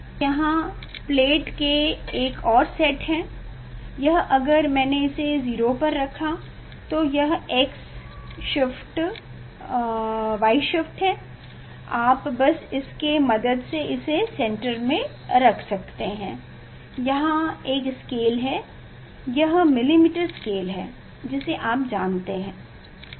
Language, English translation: Hindi, So here there are another sets of plate, this if I put it in 0, so this x shift y shift, you can just you can put at the canter position, here there is a scale, it is the millimetre scale you know